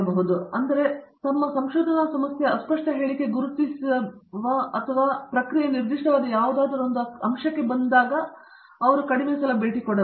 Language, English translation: Kannada, The reason I say that is that, the process of identifying or making a vague statement of our research problem into something more specific that is more tractable is actually one of the more difficult parts of the research methodology